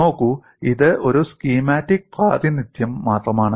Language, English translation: Malayalam, See, this is only a schematic representation